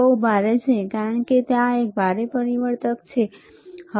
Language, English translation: Gujarati, This is very heavy, right; because there is a transformer heavy, all right